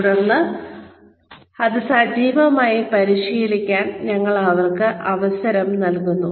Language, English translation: Malayalam, And then, we give them a chance, to practice it, actively